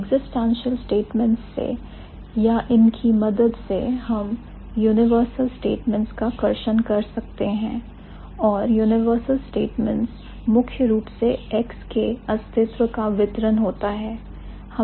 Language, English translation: Hindi, With or with the help of this existential statements, we can draw universal statements and universal statements are primarily the distribution of it